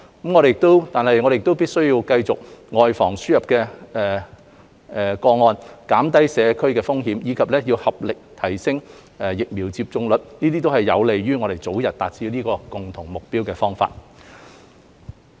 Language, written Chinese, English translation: Cantonese, 我們必須繼續外防個案輸入，減低社區風險，以及要合力提升疫苗接種率，這些都是有利於我們早日達致這個共同目標的方法。, To achieve this common goal we must continue to strive to prevent importation of cases minimize the risks to the community and work together to boost the vaccination rate